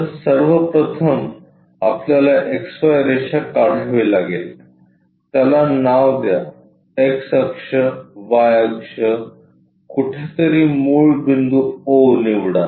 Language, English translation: Marathi, So, first of all we have to draw XY line, name it X axis, Y axis somewhere origin pick it O